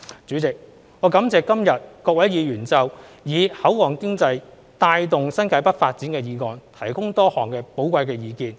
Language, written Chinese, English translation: Cantonese, 主席，我感謝今日各位議員就"以口岸經濟帶動新界北發展"的議案提供多項寶貴的意見。, President I thank Honourable Members for their sharing of many valuable opinions about the motion on Driving the development of New Territories North with port economy today